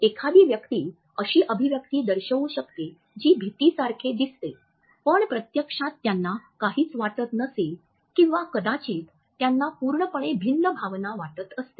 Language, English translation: Marathi, A person may show an expression that looks like fear when in fact they may feel nothing or maybe they feel a different emotion altogether